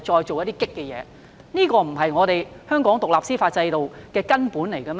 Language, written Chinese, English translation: Cantonese, 這不是衝擊香港獨立司法制度的根本嗎？, Is this not jeopardizing the foundation of Hong Kongs independent judicial system?